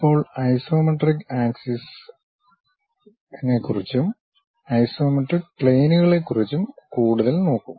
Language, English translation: Malayalam, Now, we will look more about isometric axis and isometric planes